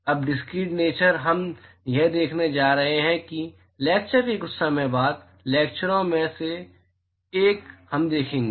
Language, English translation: Hindi, Now the discrete nature, we are going to see that a sometime down the lecture, one of the lectures we will see